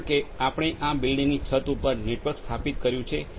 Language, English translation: Gujarati, So, because we have the network installed right over the rooftop of this one building